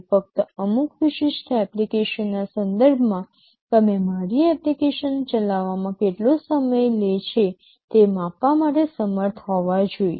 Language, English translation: Gujarati, Only with respect to some specific application, you should be able to measure how much time it is taking to run my application